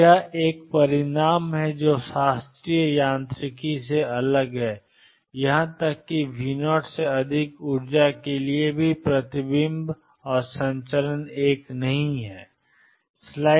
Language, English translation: Hindi, So, this is another result which is different from classical mechanics even for energy greater than V naught there is reflection and transmission is not one